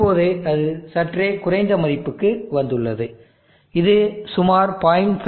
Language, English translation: Tamil, Now it has settled to a slightly lower value, it is settle to around 0